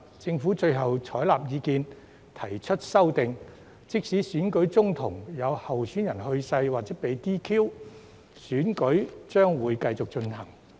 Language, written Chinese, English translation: Cantonese, 政府最後採納意見，提出修訂，訂明即使選舉中途有候選人去世或被 "DQ"， 選舉將會繼續進行。, The Government has accepted the advice and proposed amendments to provide that in case of death or disqualification of a candidate in the election the relevant election proceedings would continue to proceed